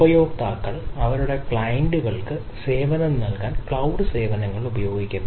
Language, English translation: Malayalam, so customers use cloud services to serve their clients